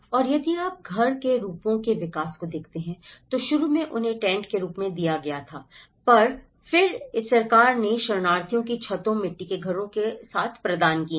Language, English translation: Hindi, And if you look at the evolution of house forms, initially they were given as a tents, then the government have provide with thatched roofs, mud houses of refugees